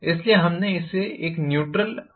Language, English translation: Hindi, So, we called this as a neutral axis